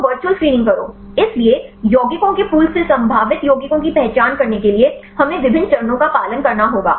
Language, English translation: Hindi, So, do the virtual screening; so what are the various steps we have to follow to identify the potential compounds from the pool of compounds